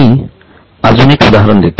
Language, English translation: Marathi, I will just give you an example